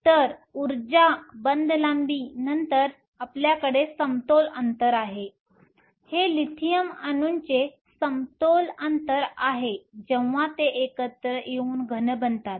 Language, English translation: Marathi, So, energy bond length then you have the equilibrium spacing here this is the equilibrium spacing of the Lithium atoms when they come together to form a solid